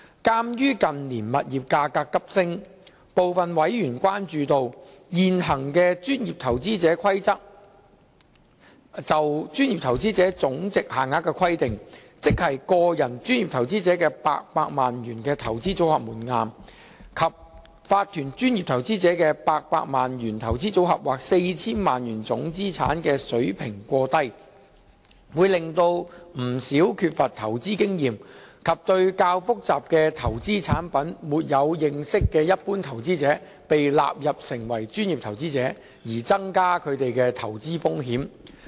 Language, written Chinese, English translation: Cantonese, 鑒於近年物業價格急升，部分委員關注到，現行《規則》下就專業投資者總值限額的規定，即個人專業投資者的800萬元投資組合門檻，以及法團專業投資者的800萬元投資組合或 4,000 萬元總資產水平過低，會令不少缺乏投資經驗及對較複雜的投資產品沒有認識的一般投資者被納入成為專業投資者，增加他們的投資風險。, In view of the escalating property prices in recent years some members have noted the monetary thresholds for qualifying as professional investor under the prevailing PI Rules that is an individual having a portfolio of not less than 8 million or a corporation having a portfolio of not less than 8 million or total assets of not less than 40 million are too low . A number of less than sophisticated investors who lack investment experience or knowledge in more complicated investment products are hence counted as professional investors and made to face greater investment risks